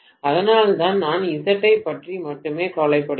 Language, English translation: Tamil, So that is why I am worried about only Z